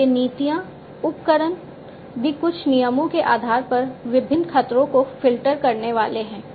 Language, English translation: Hindi, And these policies and in fact, the tools also are supposed to filter the different threats, based on certain rules